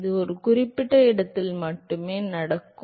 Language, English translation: Tamil, This happens only at certain location